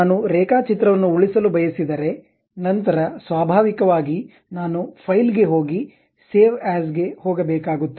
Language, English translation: Kannada, I would like to save the drawing, then naturally I have to go file save as